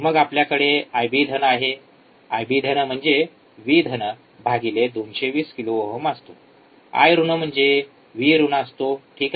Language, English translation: Marathi, Then we can have I B plus, I B plus is nothing but this V plus divided by 220 k I B minus I B minus is V minus right